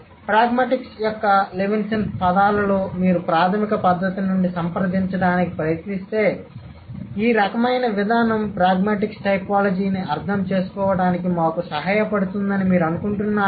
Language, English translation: Telugu, So, in Levinsonian words of pragmatics, if you try to approach it from a fundamental method, so do you think this kind of an approach is going to help us to understand pragmatic typologies